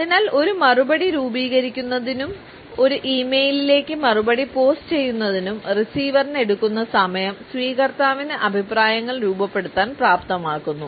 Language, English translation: Malayalam, So, the time it takes the receiver to form a reply and to post this reply to an e mail enables the receiver to form opinions